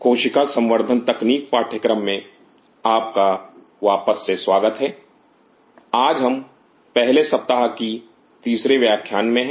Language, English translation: Hindi, Welcome back to the course on Cell Culture technology today we are into the 3rd class of the 1st week